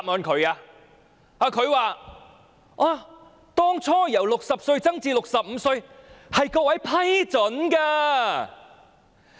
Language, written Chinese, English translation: Cantonese, 她說當初把60歲提高至65歲是各位批准的。, She said that raising the eligibility age from 60 to 65 was approved by the Members initially